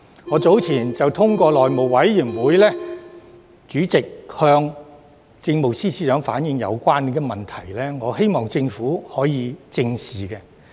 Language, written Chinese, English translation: Cantonese, 我早前便透過內務委員會主席向政務司司長反映，我希望政府正視有關問題。, I have conveyed such concern the Chief Secretary for Administration via Chairman of the House Committee earlier . I hope the Government can face the problem squarely